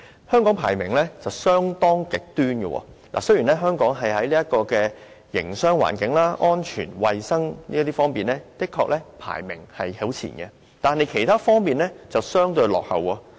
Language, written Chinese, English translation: Cantonese, 香港的排名相當極端，雖然香港在營商環境、安全和衞生等方面排名甚高，但在其他方面卻相對落後。, Hong Kongs rankings were rather extreme . Despite its high rankings in such areas as business environment safety and security and health and hygiene Hong Kong has a lag in other aspects